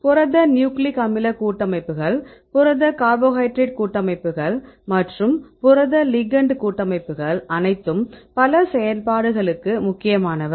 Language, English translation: Tamil, Protein nucleic acid complexes protein cabohydrate complexes and protein ligand complexes and all these complexes they are important for several functions right